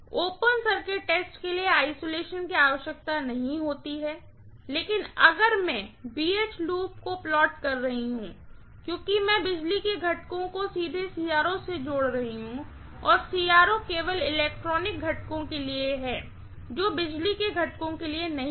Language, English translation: Hindi, Open circuit test does not require an isolation but if I am plotting a BH loop, because I am connecting the power components directly to the CRO and CRO is meant only for electronics components, not meant for power components